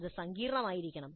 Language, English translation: Malayalam, It must be complex